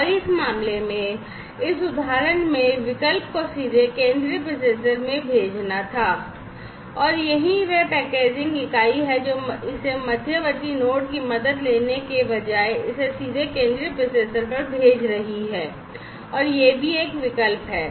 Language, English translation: Hindi, And in this case, in this example the alternative was to send it directly to the central processor, and this is what this packaging unit is doing sending it directly to the central processor instead of taking help of this intermediate node and that is also an alternative right